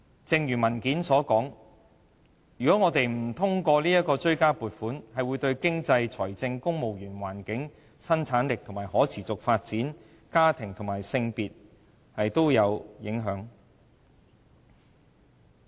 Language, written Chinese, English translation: Cantonese, 正如文件所說，如果我們不通過這項追加撥款，便會對經濟、財政、公務員、環境、生產力、可持續發展、家庭和性別議題等也造成影響。, As pointed out in the document the supplementary provisions if not passed will have economic financial civil service environmental productivity sustainability family or gender implications